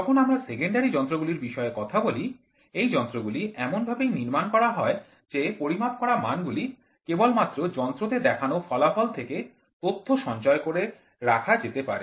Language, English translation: Bengali, When we talk about secondary instruments, these instruments are so constructed that the quantities being measured can only be recorded by observing the output indicating by the instrument